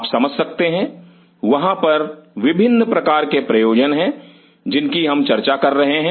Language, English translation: Hindi, You see, these are the different kind of purpose we are telling